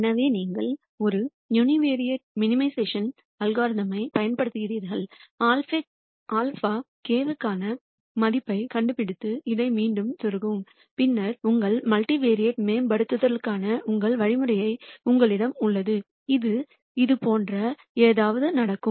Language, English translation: Tamil, So, you deploy a univariate minimization algorithm nd a value for alpha k and then plug this back in then you have your algorithm for your multivariate optimization which will go something like this